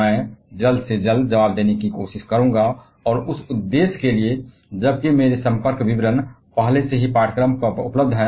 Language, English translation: Hindi, I would try to respond to that at the earliest and for that purpose, while my contact details are already available on the course